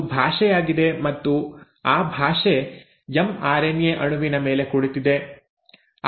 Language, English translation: Kannada, So that is the language, and now that language is there in that language is sitting on the mRNA molecule